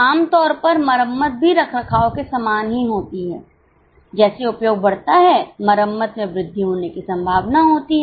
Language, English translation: Hindi, Normally repairs again similar to maintenance as the usage increase the repairs are likely to increase